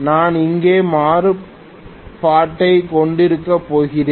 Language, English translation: Tamil, I am going to have the variac here